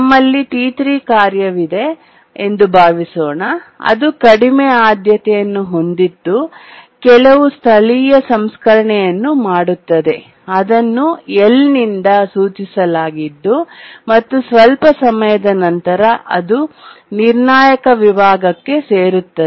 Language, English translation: Kannada, We have a task T3 which is of low priority, does some local processing denoted by L and then after some time it gets into the critical section